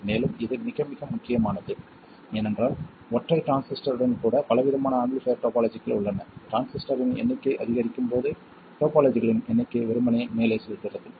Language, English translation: Tamil, And this is very very very important because even with a single transistor, there is a variety of amplifier topologies and as the number of transistors increases, the number of topologies simply blows up